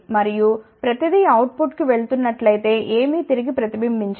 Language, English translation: Telugu, And, if everything is going to the output nothing reflects back